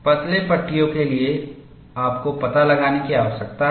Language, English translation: Hindi, For thin panels, you need to find out